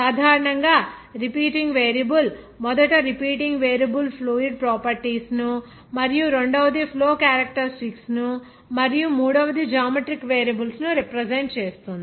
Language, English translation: Telugu, Generally, that repeating variable should be first representing repeating variable should be fluid properties and the second is the flow characteristics and third will be geometric variables